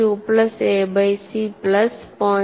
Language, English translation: Malayalam, 2 plus a by c plus 0